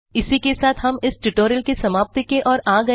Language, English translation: Hindi, So This brings us to the end of this tutorial